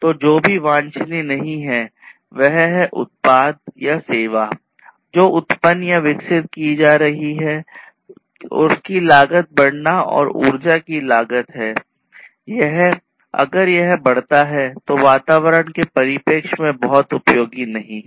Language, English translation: Hindi, So, what is also not desirable is to increase the cost of the product or the service that is being generated or being developed and also it is also the cost of energy, if it increases it is not very useful from the environment point of view as well